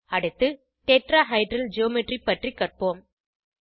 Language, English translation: Tamil, Next, let us learn about Tetrahedral geometry